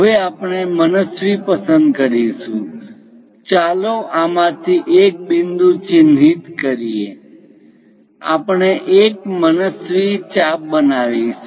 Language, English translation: Gujarati, Now, we are going to pick an arbitrary; let us mark a point from this, we are going to construct an arbitrary arc